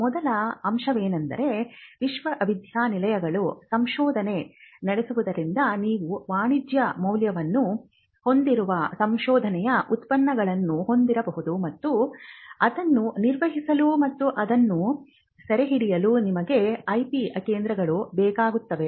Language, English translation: Kannada, So, the first aspect is because universities do research you may have products of research that could have commercial value and you need IP centres to manage and to capture that